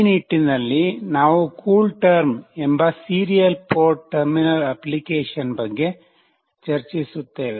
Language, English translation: Kannada, In this regard, we will be discussing about a Serial Port Terminal Application called CoolTerm